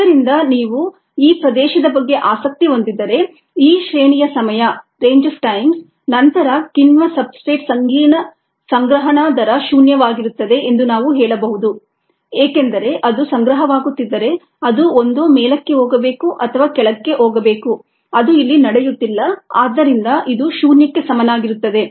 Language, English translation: Kannada, therefore, if you are interested in this region, this range of times, then we could say that the ah accumulation rate of the enzyme substrate complex is zero, because if it is accumulating, it should either go down ah, sorry, it should either go up or go down